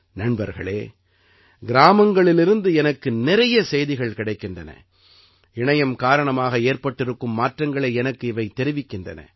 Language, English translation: Tamil, Friends, I get many such messages from villages, which share with me the changes brought about by the internet